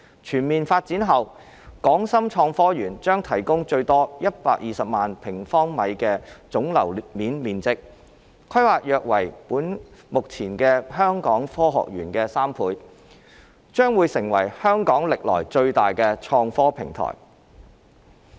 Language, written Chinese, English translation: Cantonese, 全面發展後的港深創科園將提供最多120萬平方米的總樓面面積，規模約為目前香港科學園的3倍，將會成為香港歷來最大的創科平台。, Upon its full development HSITP will provide a maximum gross floor area of 1.2 million sq m approximately three times the size of the existing Hong Kong Science Park and become Hong Kongs largest - ever IT platform